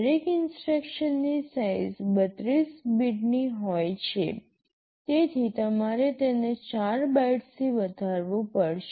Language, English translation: Gujarati, Each instruction is of size 32 bits, so you will have to increase it by 4 bytes